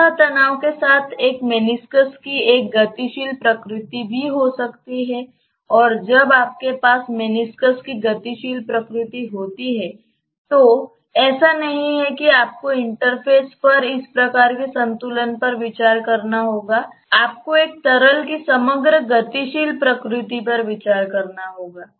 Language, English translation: Hindi, With surface tension one may also have a dynamic nature of the meniscus and when you have a dynamic nature of the meniscus it is not that you just have to consider this type of equilibrium at the interface, you may have to consider overall dynamical nature of one fluid as it is displacing the other and moving in the capillary